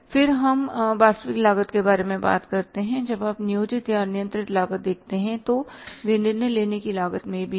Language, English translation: Hindi, When you see the planned or the controlled cost so they are the decision making cost also